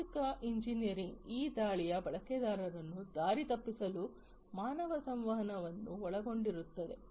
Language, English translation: Kannada, Social engineering, this attack involves human interaction to mislead the users